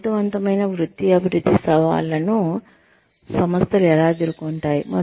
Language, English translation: Telugu, How do organizations meet challenges of effective career development